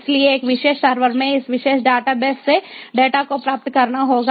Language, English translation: Hindi, so from this particular data base in a particular server, the data has to be fetched